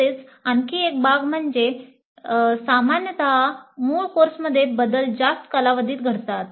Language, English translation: Marathi, And also another aspect is that generally changes in the core courses happen over longer periods